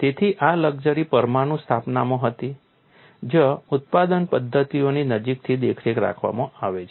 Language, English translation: Gujarati, So, this luxury was there in nuclear establishment where there is close monitoring of production methods